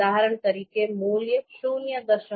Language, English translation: Gujarati, Similarly this value 0